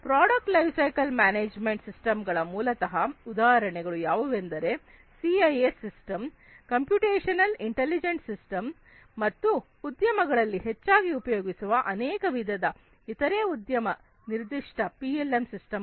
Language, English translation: Kannada, Examples of product lifecycle management systems are basically, the CIS system, computational intelligent system, and there are many different other industry specific PLM systems that are widely used in the industries